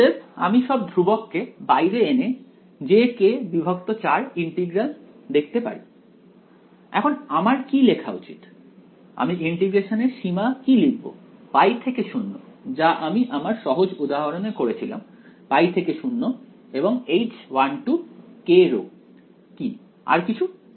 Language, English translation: Bengali, So, I can write all the constants out j k by 4 integral, now what should I write, what can I will write the limits of integration as pi to 0 as we did in the simple example pi to 0 and what is H 1 2 k rho and what else